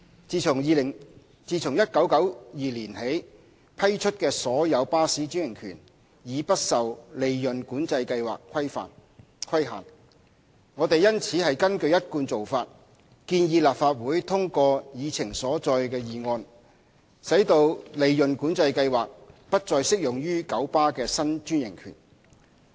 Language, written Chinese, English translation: Cantonese, 自1992年起批出的所有巴士專營權已不受利潤管制計劃規限。我們因此根據一貫做法，建議立法會通過議程所載的議案，使利潤管制計劃不適用於九巴的新專營權。, In keeping with the established practice that all new bus franchises granted since 1992 are not subject to the Profit Control Scheme PCS we propose that the motion on the Agenda be passed to exclude the application of PCS to KMBs new franchise